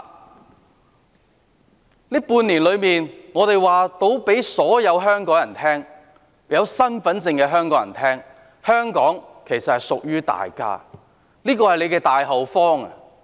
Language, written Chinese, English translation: Cantonese, 這半年間，我們可以告訴所有持有香港身份證的香港人，香港其實是屬於大家的，是大家的大後方。, During these six months we can tell all Hongkongers holding a Hong Kong identity card that Hong Kong indeed belongs to us . It is our hinterland